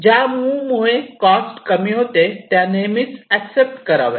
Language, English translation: Marathi, moves which decrease the cost are always accepted